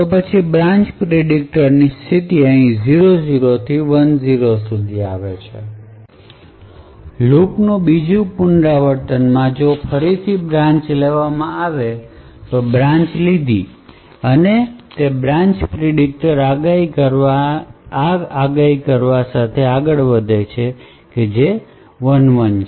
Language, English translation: Gujarati, So then the state of the branch predict comes from here to from 00 to 01 another iteration of the loop the next iteration of the loop if again the branch in the branches is taken then a the state of this branch predictor moves to predicted taken and which has a value of 11